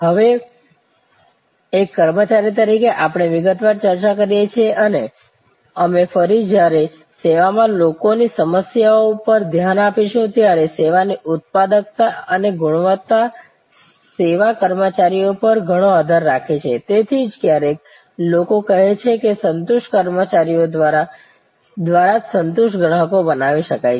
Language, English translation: Gujarati, Now, just as an employee we have discussed in detail and we will again when we look at people issues in service, the productivity and quality of service depends a lot on service personnel, that is why even sometimes people say satisfied customers can only be created by satisfied employees